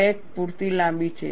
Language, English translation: Gujarati, The crack is sufficiently long